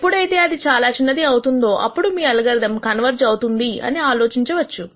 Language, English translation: Telugu, That is when this becomes small enough you say the algorithm has converged